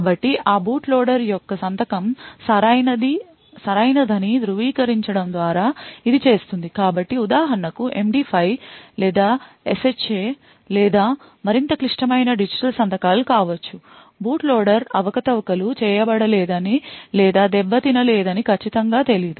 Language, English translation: Telugu, So it would do this verifying that the signature of that boot loader is correct so this could be for example an MD5 or SHA or even more complicated digital signatures to unsure that the boot loader has not been manipulated or not being tampered with